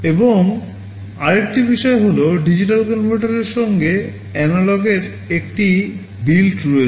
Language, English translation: Bengali, And, another thing is that there is a built in analog to digital converter